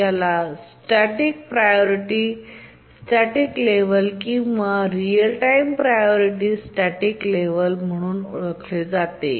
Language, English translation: Marathi, This is also called a static priority level or real time priority level